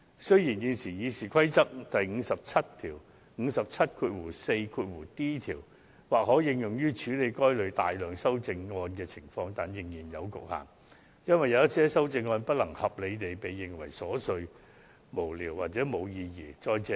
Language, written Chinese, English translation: Cantonese, 雖然，現時《議事規則》第 574d 條或可應用於處理該類大量修正案的情況，但仍然有所局限，因為有某些修正案難以合理地裁定為瑣屑無聊或無意義。, Despite that the existing RoP 574d may be applied in dealing with such large number of amendments it has its own limitations because sometimes it will be difficult to decide on reasonable grounds if an amendment is frivolous or meaningless